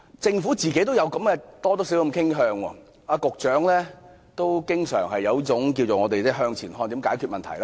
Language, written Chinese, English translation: Cantonese, 政府本身多少也有這種傾向，局長同樣經常抱着這種"向前看"的心態解決問題。, What a magnificent motto! . The Government has somehow adopted this inclination . For most of the time the Secretary addresses problems with this forward - looking mentality